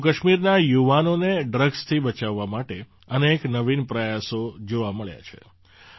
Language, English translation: Gujarati, To save the youth of Jammu and Kashmir from drugs, many innovative efforts have been visible